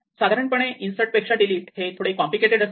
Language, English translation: Marathi, So, delete is a little bit more complicated than insert